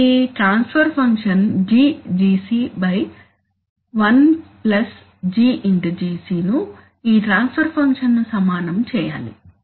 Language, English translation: Telugu, This transfer function GGc by one plus GGc, must equate this transfer function